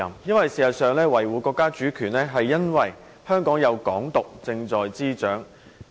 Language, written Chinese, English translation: Cantonese, 事實上，要求他維護國家主權，是因為香港的"港獨"運動正在滋長。, Actually the propagation of a Hong Kong independence movement is the very reason for requiring the next Chief Executive to safeguard the countrys sovereignty